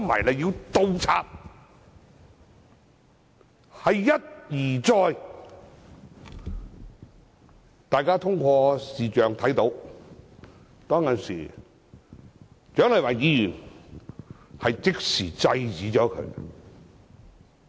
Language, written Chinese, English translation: Cantonese, 大家從視像錄影看到，當時蔣麗芸議員即時制止他。, We could see that in the video recording . At that time Dr CHIANG Lai - wan stopped him immediately